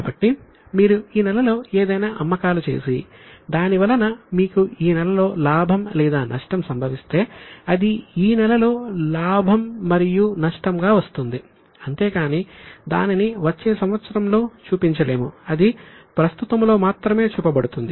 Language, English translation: Telugu, So, if you have made any sales in this month and if you make profit and loss for this month, it will come as a profit and loss of this month but it cannot be shown in the next year